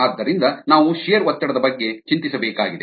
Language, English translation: Kannada, so we need to worry about the shear stress ah